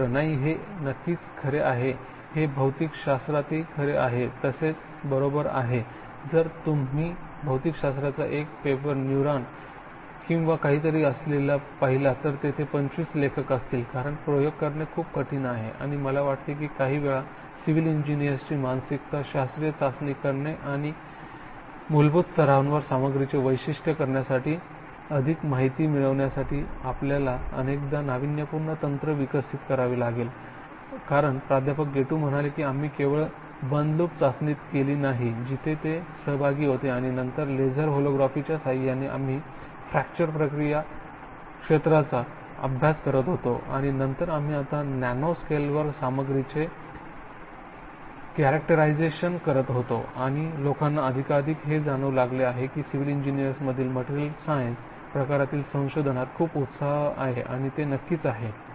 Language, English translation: Marathi, No it is certainly true, this is also true in physics as well right, if you see a one paper in physics with neuron or something, there will be 25 authors because experiments are very difficult to do and I think sometimes, some civil engineering mind set is to do classical testing and in order to get more information to characterise material at the fundamental level, you often have to develop innovative techniques as Professor Gettu said that we have not only closed loop testing, where he was involved and then with the laser holography we were studying the fracture process zone and then eventually we were now characterising material at the nano scale and people are realising more and more that the lot of excitement in materials science type of research in civil engineering and that is of course it involve quite a bit of innovative experimentation, careful experimentation and the many classical civil engineering, you know they do not have that the kind of material science approach and facilities that we had at ACBM centre and now you have, so it is very important to have that and certainly we have to validate our model with our experimental finding and connected with modelling